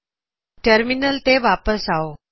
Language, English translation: Punjabi, Come back to terminal